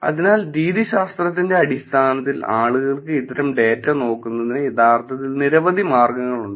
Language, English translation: Malayalam, So, in terms of methodology, there are actually multiple ways the people actually look at this data type